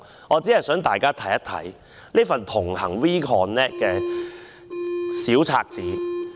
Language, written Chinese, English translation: Cantonese, 我只想大家看看這一份"同行 We Connect" 的單張。, I only want Honourable colleagues to take a look at this WeConnect leaflet